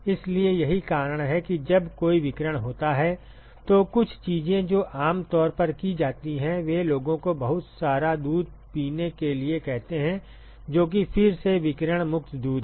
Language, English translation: Hindi, So, that is why when there is a radiation exposure a couple of things that is generally done is, they ask people to drink a lot of milk which is again radiation free milk